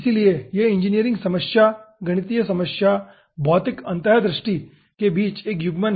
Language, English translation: Hindi, so it is a coupling between engineering problem, mathematical problem and physical insight